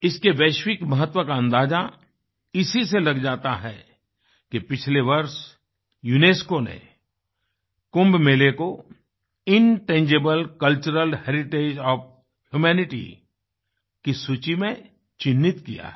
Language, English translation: Hindi, It is a measure of its global importance that last year UNESCO has marked Kumbh Mela in the list of Intangible Cultural Heritage of Humanity